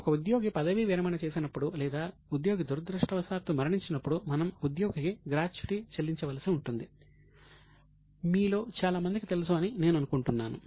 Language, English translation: Telugu, I think most of you know that whenever an employee retires or in case of unfortunate death of employee, we have to pay gratuity to the employee